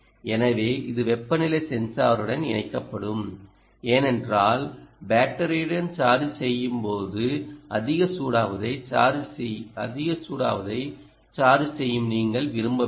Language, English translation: Tamil, right, so it will be connected to the temperature sensor because you dont want to charge in the battery ah during charging with the battery gets very, very hot